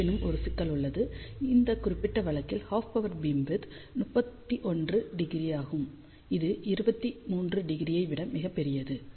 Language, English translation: Tamil, However, there is a problem with this particular case; half power beamwidth is 31 degree, which is much larger than 23 degree